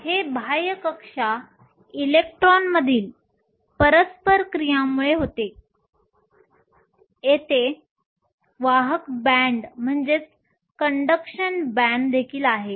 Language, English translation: Marathi, It is caused by the interaction between the outer shell electrons, there is also a conduction band